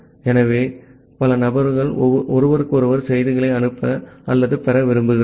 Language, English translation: Tamil, So, multiple people they want to send or receive messages to each other